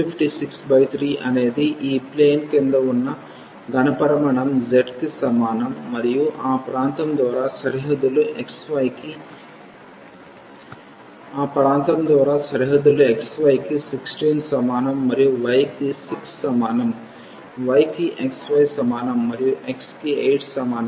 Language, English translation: Telugu, So, 256 by 3 is the volume of the solid below this plane z is equal to x and bounded by that region xy is equal to 16 and y is equal to 6, y is equal to x y is equal to 0 and x is equal to 8